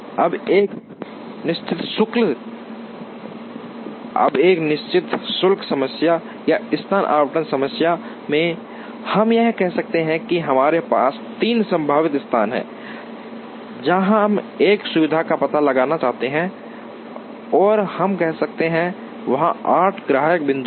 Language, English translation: Hindi, Now, in a fixed charge problem or a location allocation problem, we may say that, say we have three potential locations, where we want to locate a facility and let us say, there are 8 customer points that are there